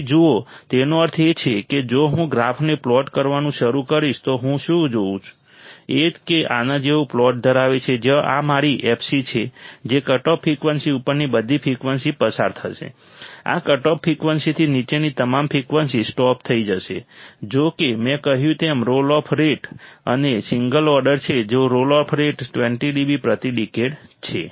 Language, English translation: Gujarati, So, see; that means, if I start plotting the graph what I will see is that it has plot like this where this is my f c all frequencies above cutoff frequency that will be passed, all frequencies below this cutoff frequency will be stopped; however, there is a roll off rate like I said and this is a single order then role of rate is of 20 dB per decade